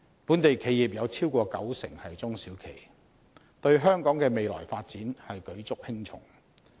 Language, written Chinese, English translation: Cantonese, 本地企業超過九成是中小企，對香港的未來發展舉足輕重。, More than 90 % of local companies are SMEs and they play a decisive role in the future development of Hong Kong